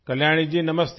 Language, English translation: Hindi, Kalyani ji, Namaste